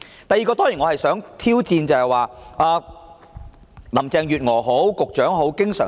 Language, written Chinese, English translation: Cantonese, 第二，我當然想挑戰林鄭月娥或局長的言論。, Secondly I certainly would like to challenge the comments made by Carrie LAM or the Secretary